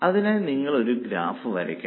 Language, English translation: Malayalam, How will you draw a graph for it